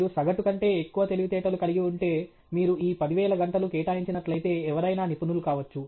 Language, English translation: Telugu, If you are having above average intelligence, then if you put in this 10,000 hours anybody can become an expert